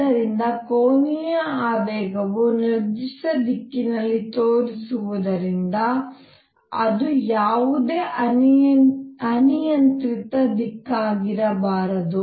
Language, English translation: Kannada, So that the angular momentum is pointing in certain direction it cannot be any arbitrary direction